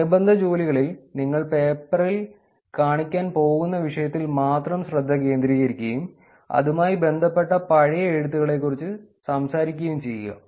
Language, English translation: Malayalam, In related work, you focus on only the work that you are going to show in the paper and talk about past literature which are connected to that